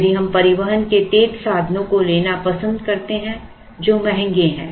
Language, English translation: Hindi, If we choose to take faster modes of transport which are expensive